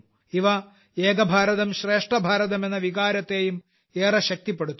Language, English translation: Malayalam, They equally strengthen the spirit of 'Ek BharatShreshtha Bharat'